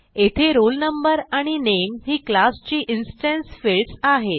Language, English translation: Marathi, We can see that here roll no and name are the instance fields of this class